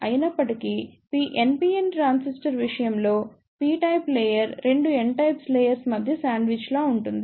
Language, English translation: Telugu, However, in case of NPN transistor, a p type layer is sandwich 2 n type of layer